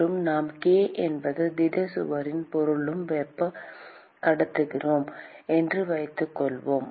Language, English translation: Tamil, And let us assume that the k is the thermal conductivity of the material of the solid wall